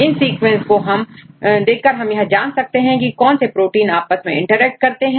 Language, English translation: Hindi, So, in all these sequences, then which proteins interact with each other